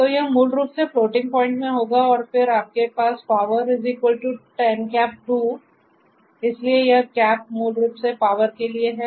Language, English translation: Hindi, So, this basically will be in the floating point and then you have power equal to 10^2 so this cap is basically for the power